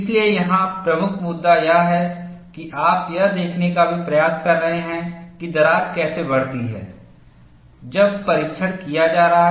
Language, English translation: Hindi, So, the key issue here is, you are also making an attempt, to see how the crack grows, when the test is being performed